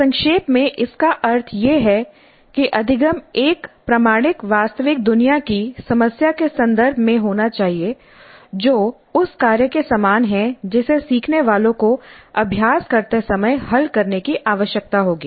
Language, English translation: Hindi, Very briefly what it means is that the learning must occur in the context of an authentic real world problem that is quite similar to the task that the learners would be required to solve when they practice